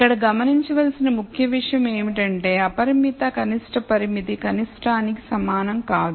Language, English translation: Telugu, The key point to notice here is that the unconstrained minimum is not the same as the constraint minimum